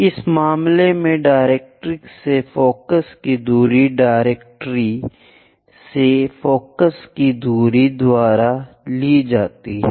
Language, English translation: Hindi, In this case, the distance of focus from the directrix will be given distance of focus from the directrix